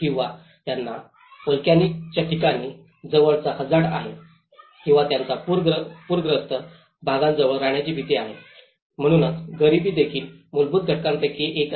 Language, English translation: Marathi, Or they tend to stay near volcanic places or they tend to fear live near the flood prone areas, so that is how the poverty is also one of the underlying factor